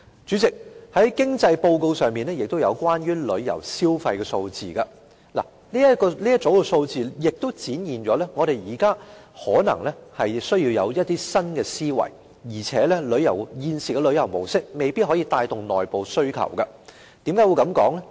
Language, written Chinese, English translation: Cantonese, 主席，經濟報告中也有關於旅遊消費的數字。這一組數字也顯示我們現在可能需要提出一些新思維，而且現時的旅遊模式未必能夠帶動內部需求，為何我這樣說呢？, President the Economic Reports also mentioned figures on visitor spending which showed that we may need some new ideas as the existing tourism model may not be able to stimulate internal demand . Why am I saying this?